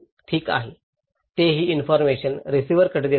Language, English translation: Marathi, Okay, now they send this information to the transmitter